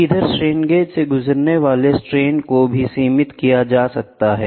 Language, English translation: Hindi, Here, the strains what the strain gauges can undergo is also limited